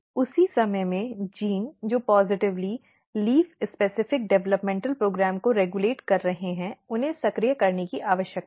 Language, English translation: Hindi, At the same time the genes which are positively regulating the leaf specific developmental program they need to be activated